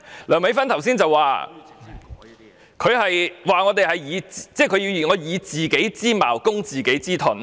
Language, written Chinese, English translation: Cantonese, 梁美芬議員剛才說，我們以自己之矛攻自己之盾。, Just now Dr Priscilla LEUNG said that we were using our own spear to attack our own shield